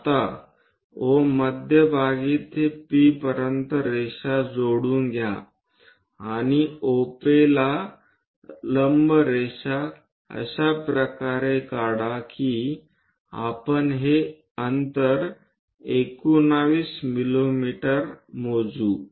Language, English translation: Marathi, Now, from center O to P join a line and draw a perpendicular line to OP in such a way that we are going to measure this distance 19 mm